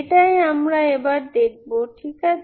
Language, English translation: Bengali, That is what we will see now, Ok